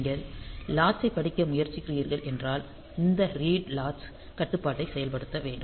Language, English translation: Tamil, If you are trying to read the latch, then this read latch control has to be activated